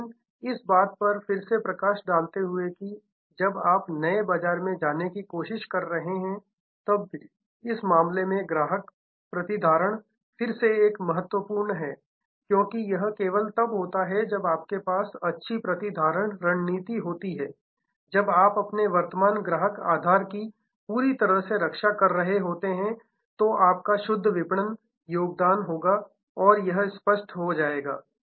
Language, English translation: Hindi, But, again highlighting that customer retention is again a key even in this case when you trying to go into new market, because it is only when you have good retention strategy only when you are completely protecting your current customer base you will have net marketing contribution this will become clear